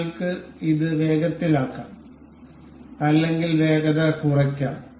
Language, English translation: Malayalam, We can speed it up or we can slow play it